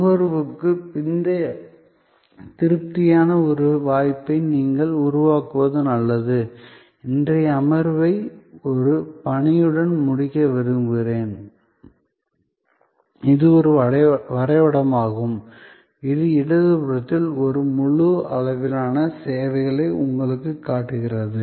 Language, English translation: Tamil, And therefore better you create a chance for post consumption satisfaction I would now like to end a today secession with an assignment, this is a diagram, which a shows to you a whole range of services on the left hand side